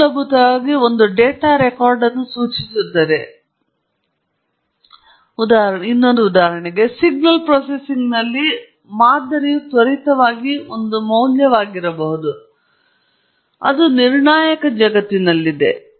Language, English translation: Kannada, It basically refers to one data record, but in signal processing, a sample could be one value at an instant and that is in the deterministic world